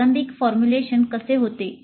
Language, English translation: Marathi, So how does the initial formulation take place